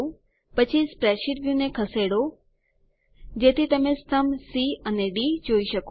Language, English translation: Gujarati, Then move the spreadsheet view so you can see column C and D